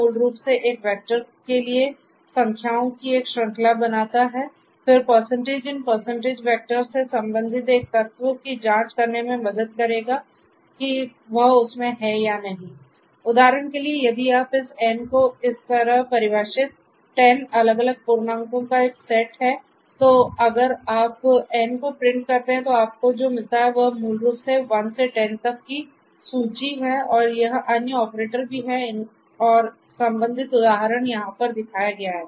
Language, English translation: Hindi, There are certain special operators, this colon basically creates a series of numbers for a vector, then percentage in percent will help to check an element belonging to a vector or not so for instance if you have this N which is a set of 10 different integers like this defined like this, then if you print N; then if you print N then what you get is basically this particular list 1 through 10 right and this other operator also and its corresponding example is shown over here